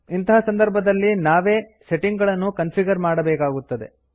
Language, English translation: Kannada, In such a case, you must configure the settings manually